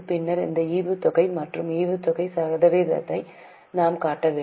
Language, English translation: Tamil, Then we have to show the dividend and dividend percentage